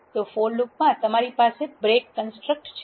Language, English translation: Gujarati, So, in the for loop what you have to have is if break construct